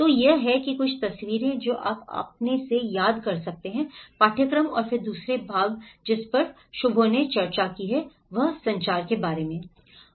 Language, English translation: Hindi, So that is what some of the pictures which you can remember from your course and then the second part which Shubho have discussed is about the communications